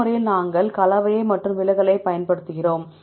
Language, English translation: Tamil, In this method, we use the composition and the deviation